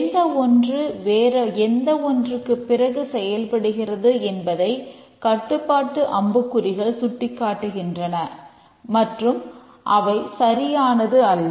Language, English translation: Tamil, represent the control arrows here that is which one operates after which one and so on and that's not correct